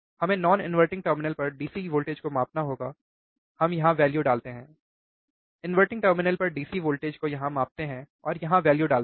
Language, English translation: Hindi, We have to measure the DC voltage at non inverting terminal, we put the value here, DC voltage inverting terminal measure here, and put the value here